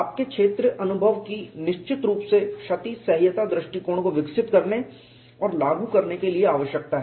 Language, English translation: Hindi, Your field experience it is definitely needed for developing and implementing damage tolerance approach